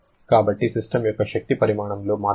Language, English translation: Telugu, So, how much is the change in the energy content of the system